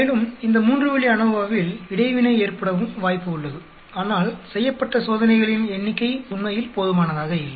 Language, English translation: Tamil, And there is a possibility of interaction also in this three way ANOVA, but the number of experiments done is not sufficient actually